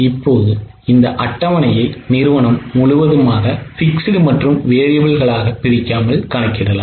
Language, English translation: Tamil, Okay, now you can also complete this table for whole of the company without breaking into fixed and variable